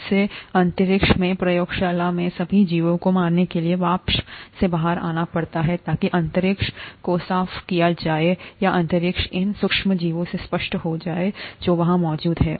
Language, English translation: Hindi, This has to come out into the vapour to kill all the organisms, in the space, in the lab so that the space is made clean or the space is made clear of these micro organisms that are present there